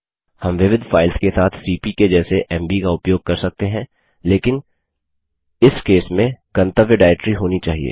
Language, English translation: Hindi, Like cp we can use mv with multiple files but in that case the destination should be a directory